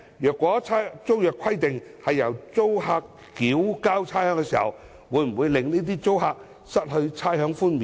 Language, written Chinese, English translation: Cantonese, 如果租約規定由租客繳交差餉，會否令這些租客失去差餉寬免？, If the tenancy agreement requires tenants to pay rates will these tenants be deprived of rates concession?